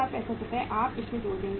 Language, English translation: Hindi, 70065 Rs you will add into this